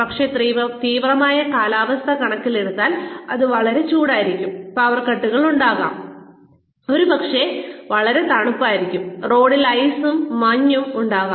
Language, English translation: Malayalam, But, considering the extreme weather conditions, maybe it is too hot, and there are power cuts, maybe it is too cold, and there is ice and snow on the road